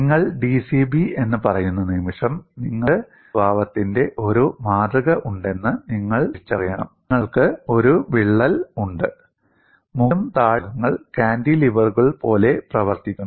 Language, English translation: Malayalam, Now, once you say d c b, you should recognize you have a specimen of this nature, you have a crack, and the top and bottom portions behave like cantilevers